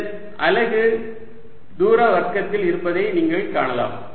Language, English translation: Tamil, you can see this as units of distance square